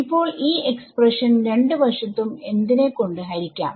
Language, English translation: Malayalam, Now I can divide this expression on both sides by